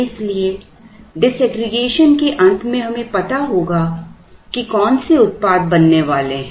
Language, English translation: Hindi, So, at the end of disaggregation we would know what are the products that are going to be made